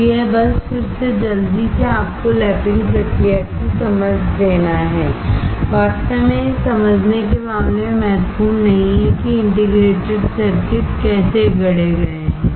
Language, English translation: Hindi, So, this is just to again quickly give you an understanding of the lapping process, really not important in terms of understanding how the integrated circuits are fabricated